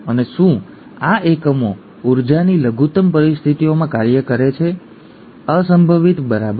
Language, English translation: Gujarati, And do these units function under energy minimum conditions unlikely, right